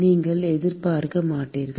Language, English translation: Tamil, That you will not expect